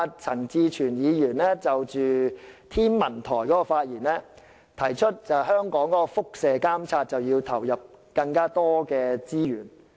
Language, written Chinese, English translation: Cantonese, 陳志全議員昨天在有關香港天文台的發言中指出，香港必須就輻射監察投入更多資源。, When Mr CHAN Chi - chuen talked about the Hong Kong Observatory yesterday he said that Hong Kong should devote more resources to radioactivity monitoring